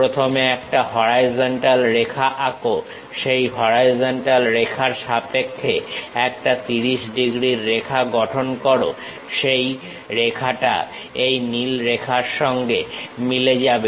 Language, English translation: Bengali, First draw a horizontal line, with respect to that horizontal line, construct a 30 degrees line that line matches with this blue line